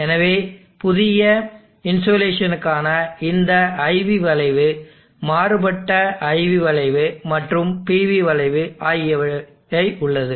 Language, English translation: Tamil, So I have this IV curve changed IV curve for the new insulation and the PV curve